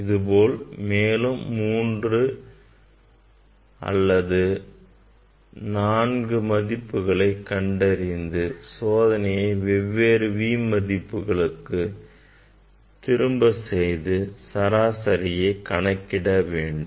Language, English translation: Tamil, this type of 3, 4 measurement you should do, repeat the measurement for different value of V and take the mean of that